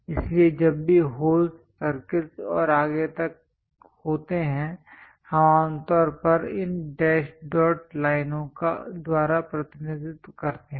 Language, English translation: Hindi, So, whenever there are holes, circles and so on, we usually represent by these dash dot lines